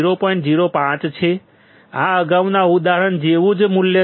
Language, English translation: Gujarati, 05, this is same value like the previous example